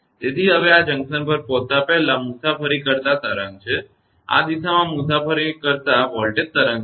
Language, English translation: Gujarati, So, now this is the wave traveling before arrival at the junction this is the voltage wave traveling along this direction right